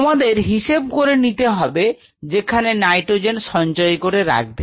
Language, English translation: Bengali, So, you have to figure out where you want to put the nitrogen storage